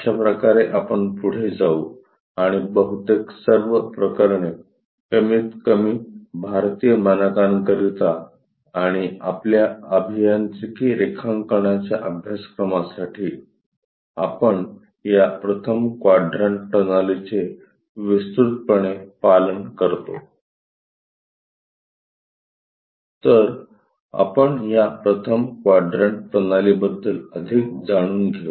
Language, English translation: Marathi, This is the way we go ahead and most of the cases, at least for Indian standards and alsofor our engineering drawing course, we extensively follow this 1st quadrant system